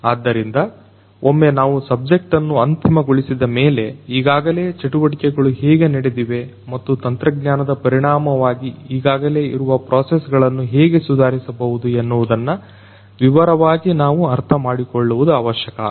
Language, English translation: Kannada, So, once we have fix the subject, we need to really understand how understand in detail how the things are already taken place and then through the technological intervention how the existing processes can be improved